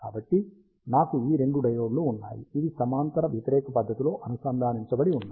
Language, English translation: Telugu, So, I have this two diodes, which are connected in anti parallel fashion